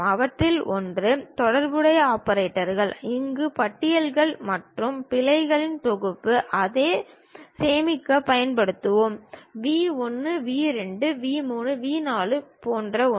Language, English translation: Tamil, One of them is relational operators, where a set of lists and errors we will use it to store; something like what are the vertex list, something like V 1, V 2, V 3, V 4